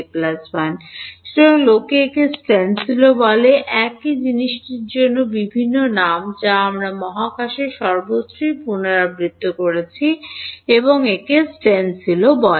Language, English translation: Bengali, So, people also called this a stencil, various names for the same thing, which I repeated everywhere in space as well as it is called stencil